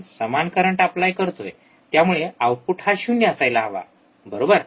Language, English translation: Marathi, wWe are we apply equal current then output should be 0, right